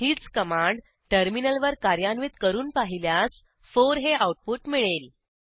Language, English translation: Marathi, If we try to execute the same command in the terminal, we should get 4 as an output